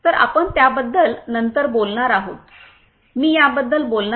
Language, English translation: Marathi, So, we are going to talk about that later on, I am going to talk about it